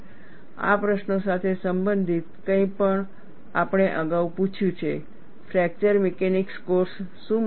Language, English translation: Gujarati, Something related to these questions we have asked earlier, what a fracture mechanics course should help